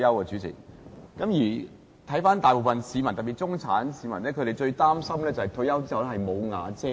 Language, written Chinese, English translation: Cantonese, 主席，看到大部分市民，特別是中產市民，最擔心在退休後"無瓦遮頭"。, President the greatest fear of most people especially the middle class is no shelter after retirement